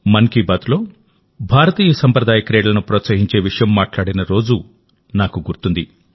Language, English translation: Telugu, I remember the day when we talked about encouraging traditional sports of India in 'Mann Ki Baat'